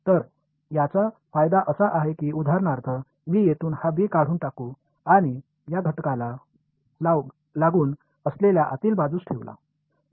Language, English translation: Marathi, So, the advantage of this is that for example, if I let me remove this b from here and put it on the inside adjacent to this element